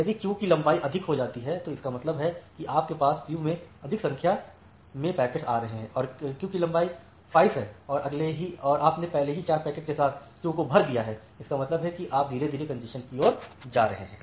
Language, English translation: Hindi, If the queue length becomes high, that means, you have more number of packets in the queue and a queue has say length 5 and you have already filled up the queue with 4 packets; that means you are gradually going towards the congestion